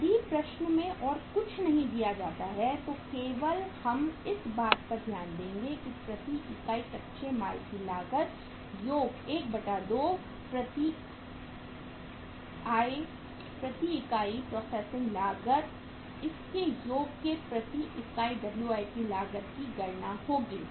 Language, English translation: Hindi, If nothing else is given in the problem, only we will take into account is that is the cost of raw material per unit full plus half of the processing cost per unit we will have to add to calculate the cost of WIP per unit